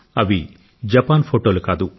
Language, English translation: Telugu, These are not pictures of Japan